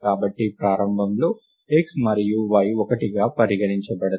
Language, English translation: Telugu, So, initially x and y are taken to be one